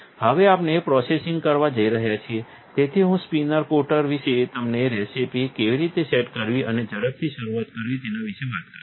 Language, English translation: Gujarati, Now, we are going to do processing, so I will talk about the spin coater and how to set up recipes and quick start